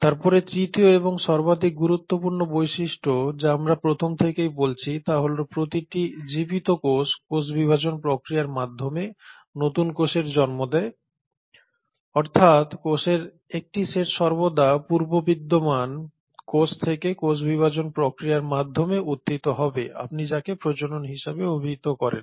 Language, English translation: Bengali, And then the third and the most important feature which we have been speaking about since the first class is that each living cell will give rise to new cells via the process of cell division that is one set of cells will always arise from pre existing cells through the process of cell division or what you call as reproduction